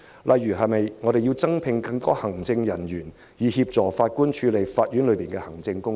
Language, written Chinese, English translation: Cantonese, 例如須否招聘更多行政人員，以協助法官處理法院的行政工作？, Will it consider employing more executive staff to assist the Judges in handling the administrative work of the court?